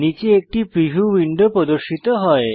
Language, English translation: Bengali, A preview window has appeared below